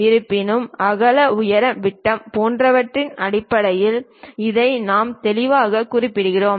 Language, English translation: Tamil, Though we are clearly mentioning it in terms of size like width height diameter and so on